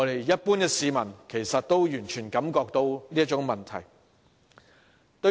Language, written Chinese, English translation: Cantonese, 一般市民也完全感覺到這個問題的嚴重性。, The general public also fully appreciates the severity of this problem